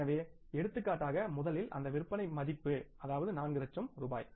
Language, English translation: Tamil, So, for example, you talk about this first one is the sales value that is 4 lakh rupees